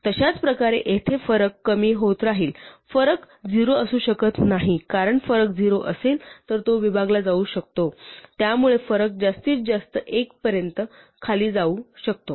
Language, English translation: Marathi, In the same way here the difference will keep reducing, the difference cannot be 0, because if difference is 0 it could have divided, so difference can at most go down to 1 and when it hits one we are done